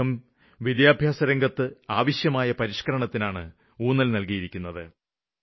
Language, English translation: Malayalam, They have emphasized on reforms in the educational set ups